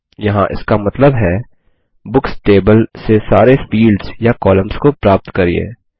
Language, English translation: Hindi, Here it means, get all the fields or columns from the Books table